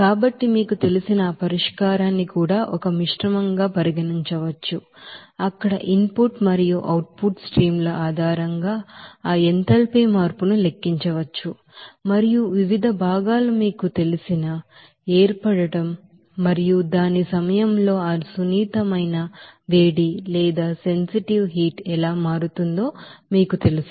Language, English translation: Telugu, So that solution also you know, can be considered as a mixture where that enthalpy change can be calculated based on that input and output streams and as well as you know that the different components enthalpy change based on their you know, formation and also how that sensitive heat changing during its you know phase change